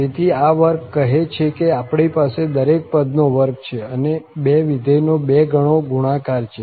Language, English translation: Gujarati, So, this square says that we have the square of each and 2 times the multiplication of the two functions